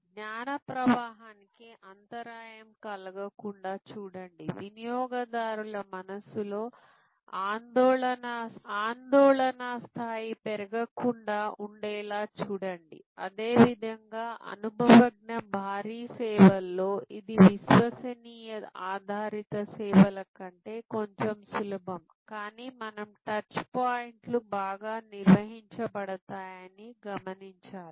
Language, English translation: Telugu, See that the knowledge flow is not interrupted, see that the anxiety level does not raise in the mind of the consumer and similarly, in the experience heavy services it is a bit easier than the credence based services, but we have to see that the touch points are well managed